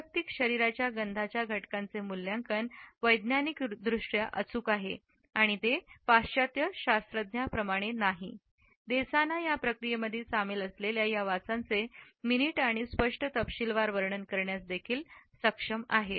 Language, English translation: Marathi, The assessment of the components of personal body odor is scientifically accurate and unlike western scientists, the Desana are also able to describe each of these smells which are involved in this process in minute and vivid detail